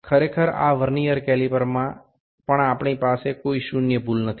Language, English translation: Bengali, Actually in this Vernier caliper also we did not have any zero error